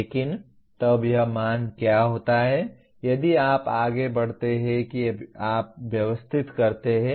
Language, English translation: Hindi, But then what happens this value if you further pursue that you organize